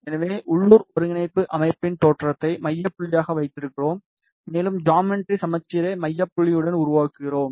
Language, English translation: Tamil, So, we are keeping the the origin of local coordinate system as the centre point, and we are making the geometry symmetric along the centre point